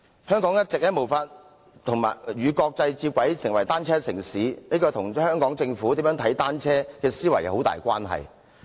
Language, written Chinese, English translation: Cantonese, 香港一直無法與國際接軌，成為單車城市，這跟香港政府如何看待單車有莫大關係。, The reason for Hong Kongs inability to converge with the international community in terms of becoming a bicycle city has a lot to do with how the Hong Kong Government looks at bicycles